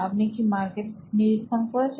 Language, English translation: Bengali, Have you done a market survey